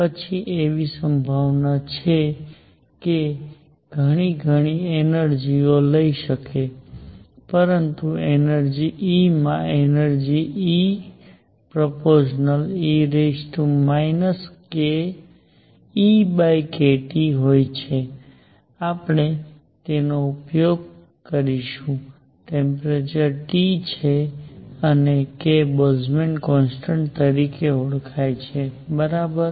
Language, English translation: Gujarati, Then the probability that a system that can take many, many energies, but has energy E has energy E is proportional to e raised to minus E over k T, we will use it again, temperature is T and k is known as Boltzmann constant all right